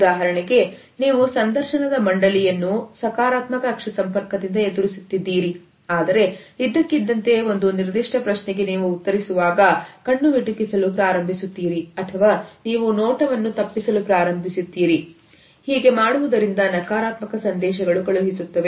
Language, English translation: Kannada, For example, you have been facing the interview board with a positive eye contact, but suddenly in answer to a particular question you start blinking or you start avoiding the gaze, then it would send negative messages immediately